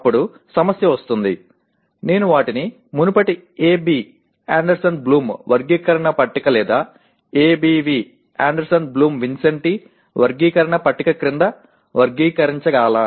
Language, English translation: Telugu, Then the issue come, should I classify them under the earlier AB taxonomy table or ABV taxonomy table